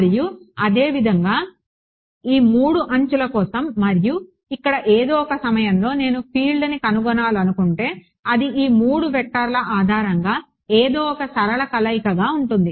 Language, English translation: Telugu, And similarly for these 3 edges and at some point over here if I want to find out the field, it is going to be a linear combination of something based on these 3 vectors